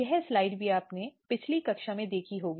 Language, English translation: Hindi, So, this slide also you have seen in one of the previous class